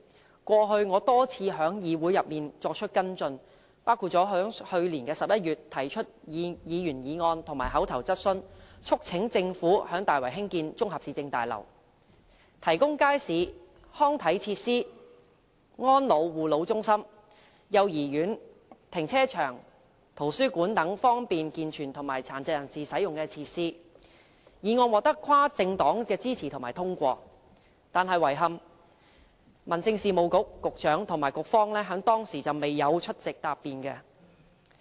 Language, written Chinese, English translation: Cantonese, 我過去多次在議會內作出跟進，包括在去年11月提出議員議案和口頭質詢，促請政府在大圍興建綜合市政大樓，提供街市、康體設施、安老護老中心、幼兒園、停車場、圖書館等方便健全及殘疾人士使用的設施，議案獲得跨政黨支持和通過，但遺憾的是民政事務局局長和局方當時未有出席答辯。, I have followed up the issue a number of times in the legislature which includes proposing a Members motion and an oral question in last November urging the Government to build a municipal complex in Tai Wai to provide markets sports facilities care and attention homes for the elderly kindergartens car parks libraries and so on for the able - bodied and the disabled . The motion won cross - party support and was passed . Yet it is regrettable that the Secretary for Home Affairs and representatives of the Bureau did not attend the meeting then to offer a reply